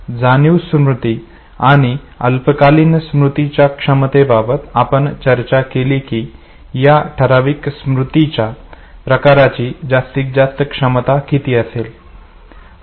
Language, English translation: Marathi, In terms of sensory memory and short term memory we did talk about the capacity, what would be the maximum capacity of this specific memory type